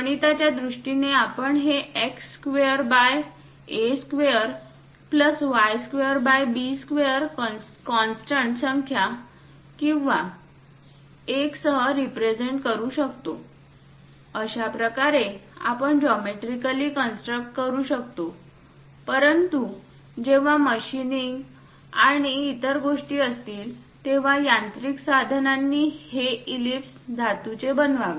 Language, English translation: Marathi, Mathematically also we can represent it by x square by a square plus y square by b square with constant number or 1; that way geometrically we can construct, but when machining and other things are happening, the mechanical tools has to construct this ellipse on metal place